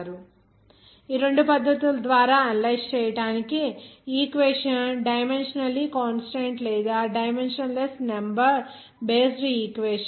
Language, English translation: Telugu, Now to analyses by these two methods are the equation dimensionally consistent or dimensionless number based equation